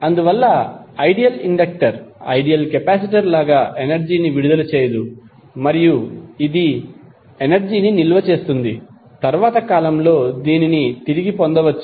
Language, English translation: Telugu, Therefore, the ideal inductor, like an ideal capacitor cannot decapitate energy and it will store energy which can be retrieve at later time